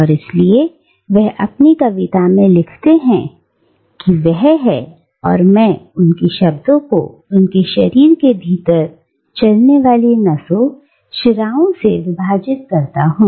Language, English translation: Hindi, And therefore, he writes in his poem, that he is, and I quote his words, divided to the vein, the veins that run within his body